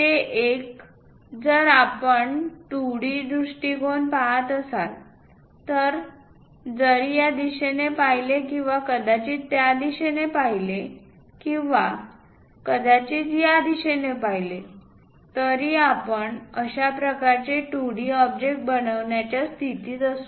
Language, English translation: Marathi, That one, if we are looking at as a view as a 2D one either looking from this side or perhaps looking from that side or perhaps looking from this side, we will be in a position to construct such kind of 2D object